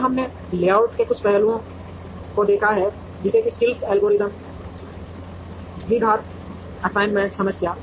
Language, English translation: Hindi, And we have seen some aspects of layout, such as the craft algorithm and the quadratic assignment problem